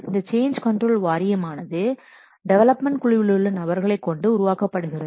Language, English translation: Tamil, The change control board is usually constructed by taking members among the development team members